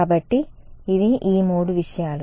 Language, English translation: Telugu, So, these are the three things